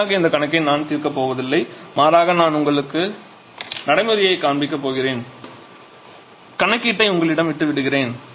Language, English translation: Tamil, So, we have I am not going to solve this problem by showing all the steps rather I am just going to show you the procedure I am leaving the calculation to you